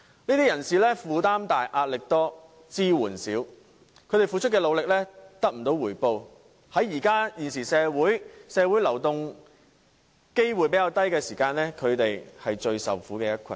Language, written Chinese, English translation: Cantonese, 這群人負擔重、壓力大、支援少，他們付出的努力得不到回報，正值現時社會流動性較低，他們便成了最受苦的一群。, Under huge burden as well as pressure these people do not have much support and their efforts are scarcely rewarded . They are precisely the social class that suffer most in times of low social mobility